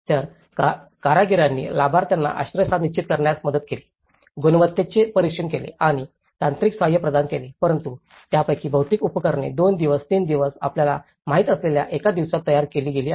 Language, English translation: Marathi, So, the artisans assisted beneficiaries in setting out the shelters, monitored the quality and provided the technical assistance but most of these kits have been erected in a daysí time you know 2 days, 3 days